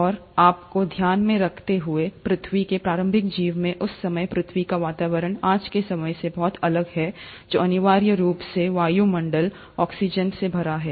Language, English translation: Hindi, And mind you, at that point of time in the early life of earth, the atmosphere of the earth was very different from what we see of today, which is essentially full of atmospheric oxygen